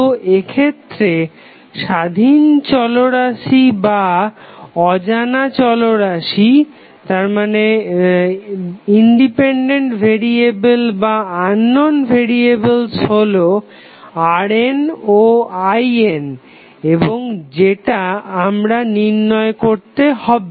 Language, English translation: Bengali, So, what the independent or the unknown variables in this case are R n and I n and this is we have to find out